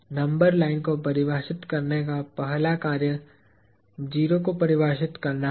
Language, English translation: Hindi, The very first act of defining the number line is to define a 0